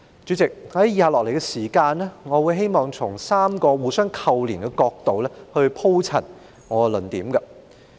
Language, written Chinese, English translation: Cantonese, "主席，我會在以下的時間，從3個互相扣連的角度鋪陳我的論點。, Chairman I am going to present my arguments afterwards from three inter - related perspectives